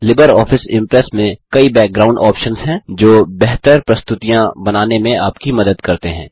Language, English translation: Hindi, LibreOffice Impress has many background options that help you create better presentations